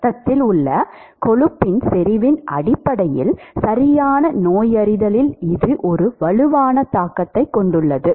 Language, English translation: Tamil, And that has a strong implication on a perfect diagnosis based on the concentration of cholesterol in the blood